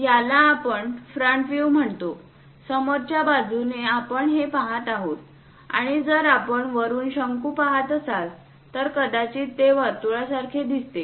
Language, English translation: Marathi, This is what we call front view; from front side, we are looking it, and if we are looking a cone from top, it might look like a circle